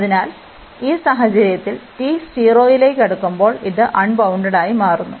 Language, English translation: Malayalam, So, in this case here the when t is approaching to 0, so this is becoming unbounded